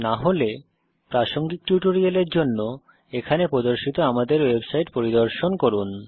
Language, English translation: Bengali, If not, for relevant tutorial please visit our website which is as shown